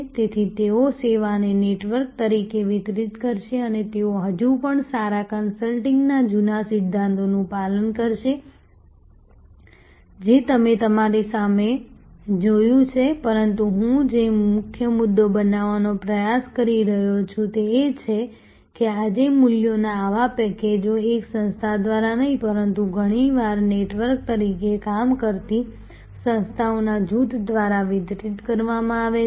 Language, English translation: Gujarati, And but, they will deliver the service as a network and they will follow still the old principles of good consulting, which you saw in see in front of you, but the key point I am trying to make is that today such packages of values are not delivered by one organization, but very often by a group of organizations working as a network